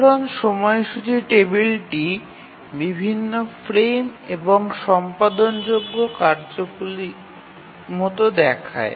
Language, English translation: Bengali, So, typical schedule table would look like the different frames and the tasks that are to be executed